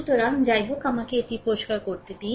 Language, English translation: Bengali, So, anyway let me clear it, right